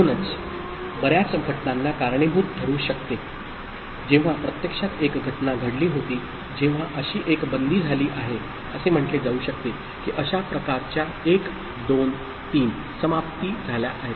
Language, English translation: Marathi, So, it can trigger many events when, actually one event has taken place one such closure has taken place, it may count that 1 2 3 such closures have taken place